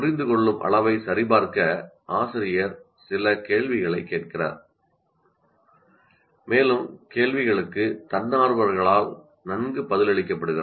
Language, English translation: Tamil, Teacher asks some questions to check understanding and the questions are answered well by the volunteers